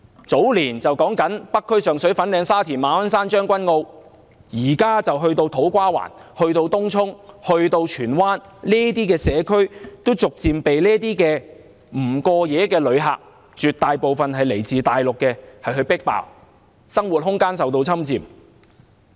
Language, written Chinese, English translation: Cantonese, 早年北區、上水、粉嶺、沙田、馬鞍山、將軍澳受到影響，現時波及土瓜灣、東涌及荃灣，這些社區都逐漸被這些不過夜、絕大部分來自大陸的旅客迫爆，居民生活空間受到侵佔。, The North District Sheung Shui Fanling Sha Tin Ma On Shan and Tseung Kwan O were affected in the earlier years . Now even To Kwa Wan Tung Chung and Tsuen Wan are crammed with non - overnight visitors mostly from the Mainland who invade the living space of the local residents